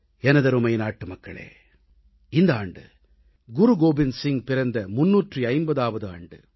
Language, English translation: Tamil, My dear countrymen, this year was also the 350th 'Prakash Parv' of Guru Gobind Singh ji